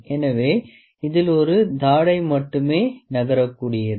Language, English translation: Tamil, So, this is only one jaw that is movable